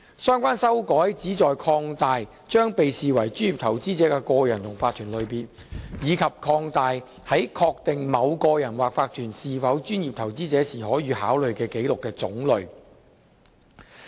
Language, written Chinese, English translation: Cantonese, 相關修改旨在擴大將被視為專業投資者的個人及法團的類別，以及擴大在確定某個人或法團是否專業投資者時可予考慮的紀錄的種類。, The purpose of the relevant amendments is to expand the types of individuals and corporations that are to be regarded as professional investors and the records which may be considered in ascertaining whether an individual or corporation is a professional investor